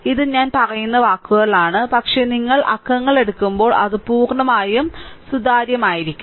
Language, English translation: Malayalam, It is in words I am telling, but when you will take numerical, it will be totally transparent right